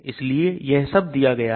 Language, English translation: Hindi, So all these are given